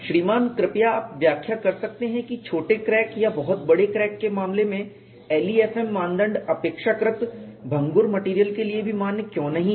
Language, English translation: Hindi, Sir could you please explain why in the case of short cracks or very long cracks, the LEFM criteria are no longer valid, even for relatively brittle materials